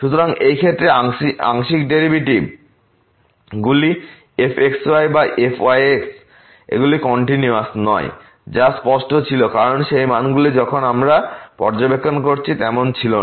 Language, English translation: Bengali, So, in this case the partial derivatives either or they are not continuous which was clear because those values were not same as we have observed